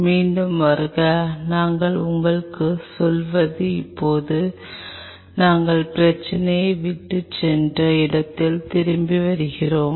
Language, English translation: Tamil, Welcome back, what we are telling you is now coming back where we left the problem